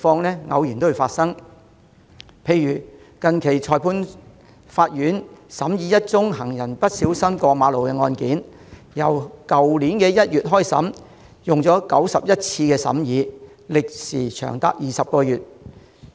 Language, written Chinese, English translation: Cantonese, 例如，近期裁判法院審議一宗行人不小心過馬路的案件，去年1月開審，經過91次審議，歷時長達20個月。, For example a case on jaywalking by a pedestrian has recently been tried at a Magistrates Court . Starting from January last year there have been 91 trials within 20 months